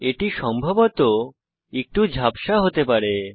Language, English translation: Bengali, It may possibly be a little blurred